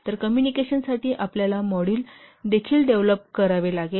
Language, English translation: Marathi, So you have to develop also a module for communication